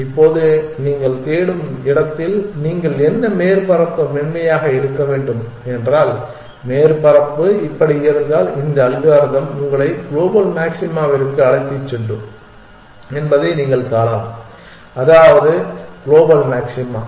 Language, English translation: Tamil, Now, if the surface of the that you what in the space that you are searching were to be smooth if the surface was like this then you can see that this algorithm would have taken you to the global maxima that is the global maxima